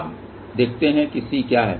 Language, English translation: Hindi, Now, let us see what is C